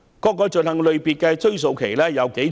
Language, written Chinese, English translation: Cantonese, 各項罪行的追溯期有多長？, How long is the retrospective period for each offence?